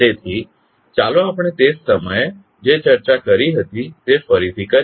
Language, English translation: Gujarati, So, let us recap what we discussed at that time